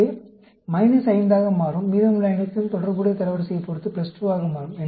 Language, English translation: Tamil, So, this will become minus 5, and rest all will become plus corresponding rank